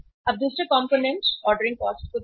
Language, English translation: Hindi, Now look at the second component ordering cost